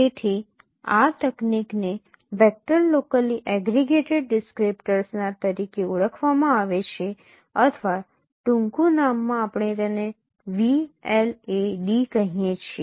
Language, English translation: Gujarati, So this technique is known as vector of locally aggregated descriptors or in an acronym we call it V land